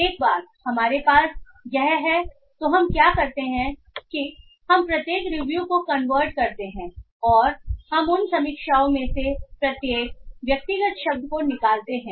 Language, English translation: Hindi, Once we have this what we do is that we convert each review and we extract each individual word from those reviews